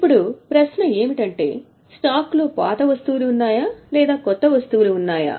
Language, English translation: Telugu, Now, question is, stock consists of which items, the older items or newer items